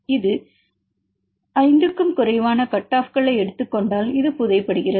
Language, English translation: Tamil, 4 that is less than one if you take the less than 5 cutoff then this is buried